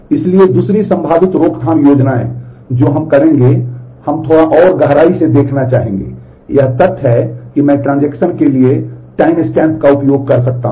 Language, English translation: Hindi, So, the other possible prevention schemes that we will we would like to look at little bit more depth is the fact that I can use timestamps for the transaction